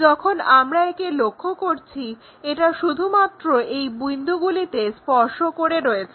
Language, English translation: Bengali, When we are looking at that it just touch at this points